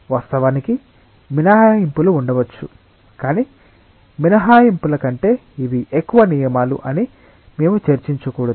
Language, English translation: Telugu, Of course, there may be exceptions, but we should not discuss exceptions these are more rules than exceptions